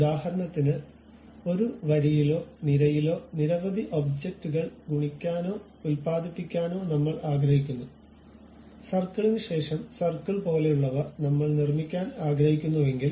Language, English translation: Malayalam, For example, I want to multiply or produce many objects in a row or column; something like circle after circle after circle I would like to construct